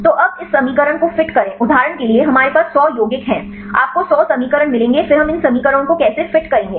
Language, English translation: Hindi, So, now, fit the fit this equations for example, we have 100 compounds, you will get the 100 equations then how we fit these equations